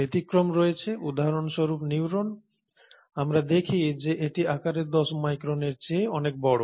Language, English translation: Bengali, You have exceptions, for example neurons that we would see are much bigger in size than 10 microns